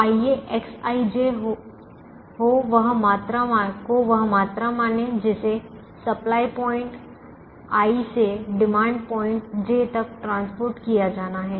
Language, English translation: Hindi, so let x i, j be the quantity transported from supply point i to demand j